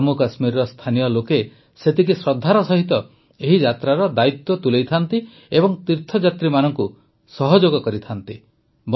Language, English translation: Odia, The local people of Jammu Kashmir take the responsibility of this Yatra with equal reverence, and cooperate with the pilgrims